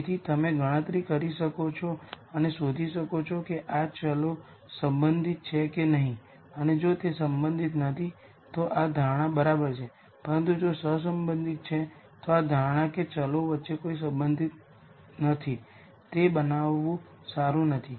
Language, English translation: Gujarati, So, you could calculate and nd out whether these variables are correlated or not and if they are not correlated then this assumption is fine, but if they are correlated then this assumption that no relation exists between the variables it is not a good one to make